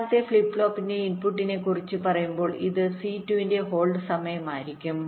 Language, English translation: Malayalam, and when it comes to the input of the second flip flop, this will be the hold time for c two after the c to h comes, minimum